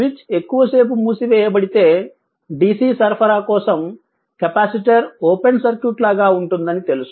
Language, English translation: Telugu, If switch was closed for long time you know that for the DC for the DC supply, the capacitor will be a like an open circuit right